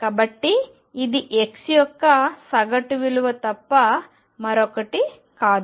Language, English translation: Telugu, So, this is nothing but average value of x